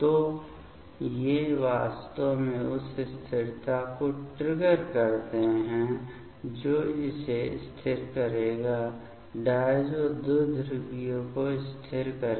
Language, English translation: Hindi, So, these actually trigger the stability this will stabilize; stabilize the diazo dipole fine